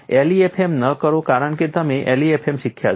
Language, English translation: Gujarati, Do not do LEFM because you have learnt LEFM